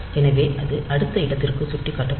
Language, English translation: Tamil, So, it will be pointing to the next location